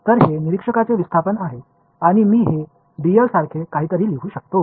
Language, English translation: Marathi, So, this is the observer’s displacement I can as well write this as something like dl